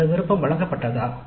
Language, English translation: Tamil, Was that option given